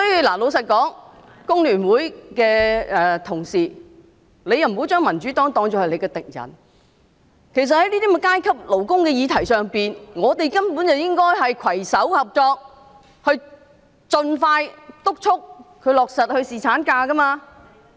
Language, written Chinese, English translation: Cantonese, 老實說，工聯會的同事不應把民主黨當作敵人，在這種有關勞工階級的議題上，大家應攜手合作，盡快督促政府落實侍產假。, To be honest my Honourable colleagues from FTU should not treat the Democratic Party as their enemy . Regarding such an issue relating to the working class Members should join hands in expeditiously urging the Government to implement paternity leave